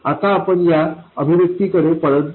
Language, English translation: Marathi, Now let's go back to this expression here